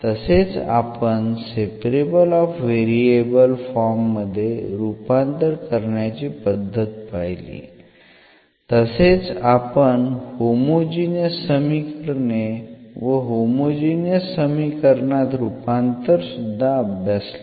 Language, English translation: Marathi, And we have also discussed about the equation reducible to the separable of variable form again, we have also discussed the homogeneous equation and the equation reducible to the homogeneous form